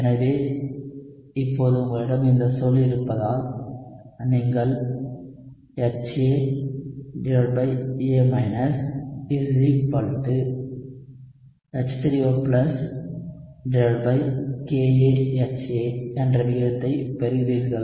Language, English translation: Tamil, So, now that you have this term, what you get is you get the ratio of HA by A = H3O+ divided by Ka of HA